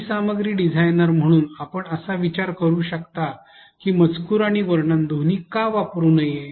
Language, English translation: Marathi, As an e content designer you may think that why not use both text and narration